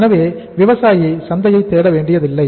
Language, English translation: Tamil, So farmer has not to look for the market